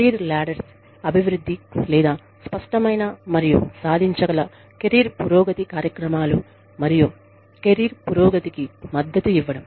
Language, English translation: Telugu, Development of career ladders, or clear and achievable career progression programs, and provision of support for career progression